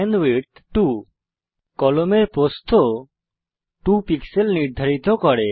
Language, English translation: Bengali, penwidth 2 sets the width of the pen to 2 pixels